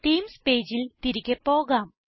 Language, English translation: Malayalam, Lets go back to our Themes page